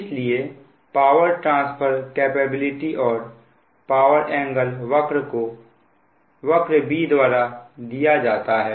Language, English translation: Hindi, so that means the power transfer capability and the power angle curve is represented by curve b